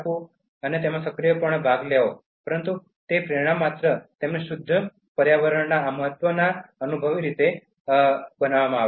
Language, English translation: Gujarati, So, they actively participate in that, but the motivation has come from just making them experientially feel this significance of pure environment